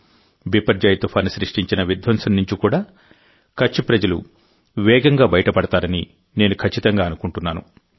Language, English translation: Telugu, I am sure the people of Kutch will rapidly emerge from the devastation caused by Cyclone Biperjoy